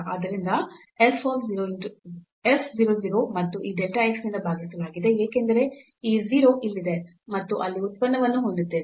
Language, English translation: Kannada, So, f 0 0 and divided by this delta x so, since this 0 is here and you have we have the product there